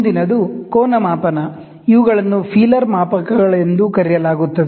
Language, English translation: Kannada, The next one is angle measurement, these are called as a feeler gauges